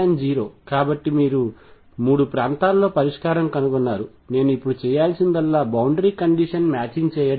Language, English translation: Telugu, So, you found solution in 3 regions the only thing I have to now do is do the boundary condition matching